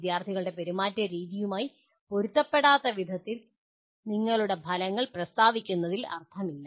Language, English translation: Malayalam, There is no point in stating your outcomes in a manner which are not compatible with entering behavior of students